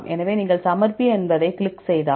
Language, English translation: Tamil, So, then if you click on submit